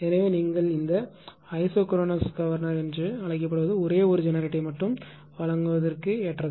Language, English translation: Tamil, So, that is why you are what you call this ah ah isochronous governor suitable for supplying only one one one generator supplying the load that is all